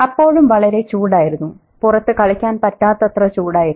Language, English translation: Malayalam, It was still too hot to play outdoors